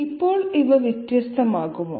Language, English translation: Malayalam, Now are these going to be different